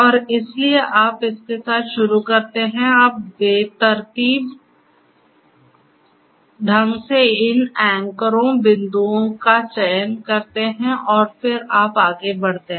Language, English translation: Hindi, And, so, you start with this you randomly select these anchors, the points and then you proceed further